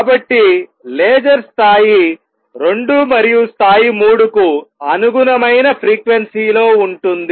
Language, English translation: Telugu, So, laser is going to be of the frequency corresponding to level 2 and level 3